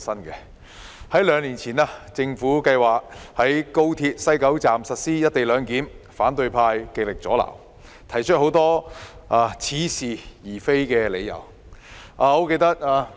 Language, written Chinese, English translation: Cantonese, 政府兩年前計劃在廣深港高速鐵路香港段西九龍站實施"一地兩檢"，反對派極力阻撓，提出很多似是而非的理由。, The Government planned to implement the co - location arrangement at the West Kowloon Station of the Guangzhou - Shenzhen - Hong Kong Express Rail Link two years ago . The opposition camp tried their best to scupper the plan by raising many specious arguments